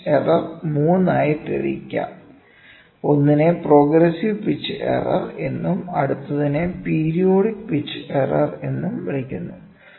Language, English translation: Malayalam, The pitch error can be classified into 3; one is called as progressive pitch error, next is called as periodic pitch error